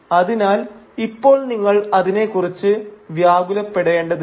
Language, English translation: Malayalam, So you do not have to worry about them just now